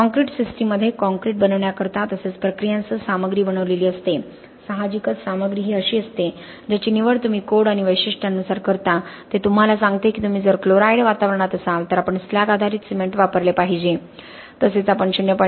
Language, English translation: Marathi, The concrete system is composed of the materials that go into making the concrete as well as the processes, the materials are obviously the ones that you make a choice of as far as the codes and specifications are concerned, it tells you that okay if you are in a chloride environment ensure that you are using slag based cement, ensure that you are not using a water to cement ratio of more than 0